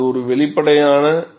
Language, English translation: Tamil, And this is obvious